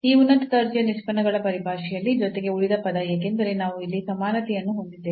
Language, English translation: Kannada, So, in terms of the these higher order derivatives plus the remainder term because we have the equality here